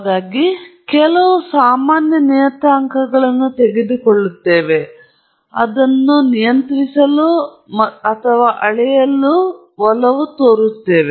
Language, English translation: Kannada, So, I am going take a few common parameters that we tend to control or measure and so on